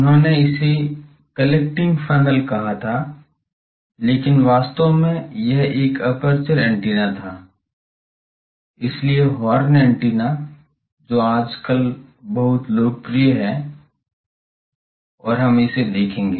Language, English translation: Hindi, He called it collecting funnel, but actually it was an aperture antenna, so horn antenna which is very popular till today and we will see it